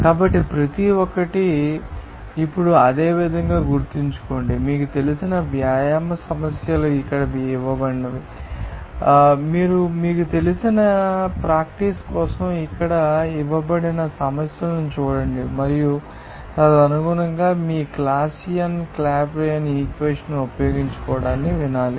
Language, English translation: Telugu, So, remember each now similarly, you can try other you know exercise problems like it is given here, see problems are given here for your you know, practice and accordingly you just you have to hear use that Clausius Clapeyron equation to find out that you know vapour pressure there